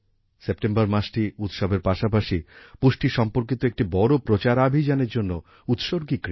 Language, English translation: Bengali, The month of September is dedicated to festivals as well as a big campaign related to nutrition